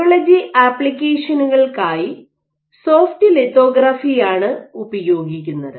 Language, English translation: Malayalam, Soft lithography is what is used for biology applications ok